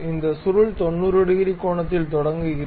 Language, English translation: Tamil, And it can begin at 90 degrees angle